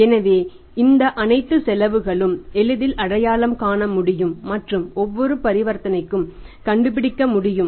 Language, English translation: Tamil, So all this cost can be easily identified and can be worked out per transaction